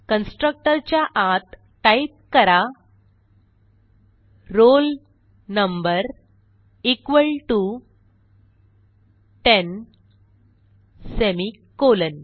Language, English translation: Marathi, So inside the constructor type roll number equal to ten semicolon